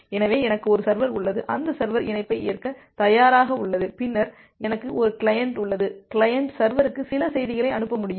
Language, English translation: Tamil, So, I have a server, that server is ready to accept the connection, then I have a client, the client can send certain messages to the server